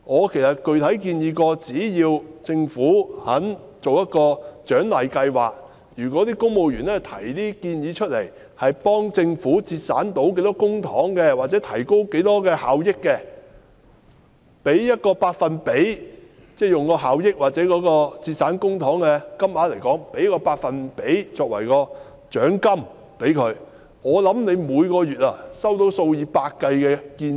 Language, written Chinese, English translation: Cantonese, 其實我曾具體地建議，只要政府願意推出一項獎勵計劃，即如果公務員提出的建議可以幫助政府節省多少公帑，或提高多少效益的話，可以效益或節省公帑金額的某個百分比作為獎金，我想政府每個月便可以收到數以百計的建議。, In fact I have specifically proposed that as long as the Government is willing to introduce an incentive scheme to reward civil servants on a pro rata basis for their proposals that help the Government save public money and enhance efficiency I think the Government can receive hundreds of proposals every month